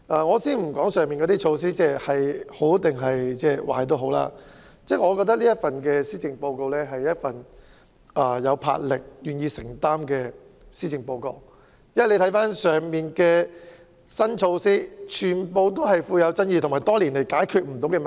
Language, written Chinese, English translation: Cantonese, 我暫且不說上述措施孰好孰壞，但我覺得這是一份有魄力且願意承擔的施政報告，當中的新措施皆具有爭議性，亦是針對多年來無法解決的問題。, I will not say whether the above initiatives are good or bad but I think the Policy Address demonstrated the Governments resolution and commitment and the new initiatives are controversial and targeting problems that have not been solved over the years